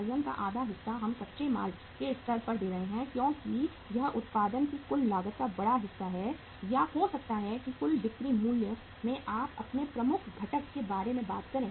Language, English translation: Hindi, Half of the weight we are giving at the raw material stage because it is a bigger chunk of the total cost of production or maybe in the total selling price you talk about your major uh component is the raw material